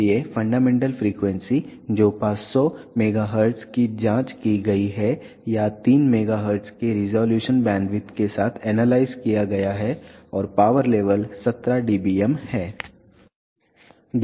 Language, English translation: Hindi, So, the fundamental frequency which is 500 megahertz has been checked or analyze with the resolution bandwidth of 3 megahertz and the power level is 17 dBm